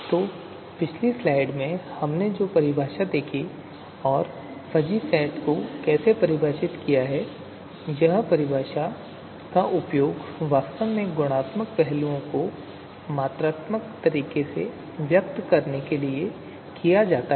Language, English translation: Hindi, So the definition that we saw in the previous slide and how the fuzzy fuzzy set is defined, so that is actually you know that definition is actually used to express you know the qualitative aspect you know in a quantitative you know manner